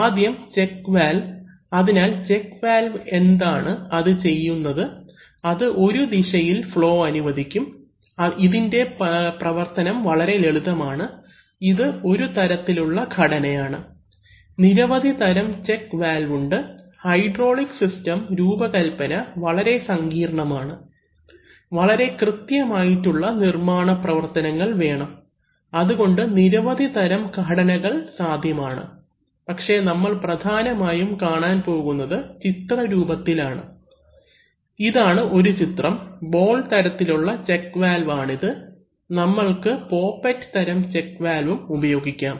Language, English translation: Malayalam, So, first the check valve, so the check valve what does it do, it will allow flow in one direction but not the other direction, and it is, so you see how it works very simple, this is one of the construction, there are various kinds of check valves in fact, the mechanical design of hydraulic systems are very complicated, they require very precision manufacturing and so there are various constructions possible but we are going to see mainly schematics, so this is one schematic, where we use a ball type check valve, we can also use a poppet type check valve various kinds